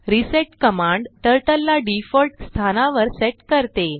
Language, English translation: Marathi, reset command sets the Turtle to default position